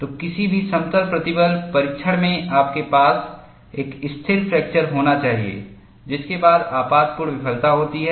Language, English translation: Hindi, So, in any plane stress testing, you should have a stable fracture followed by catastrophic failure